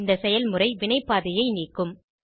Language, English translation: Tamil, This action will remove the reaction pathway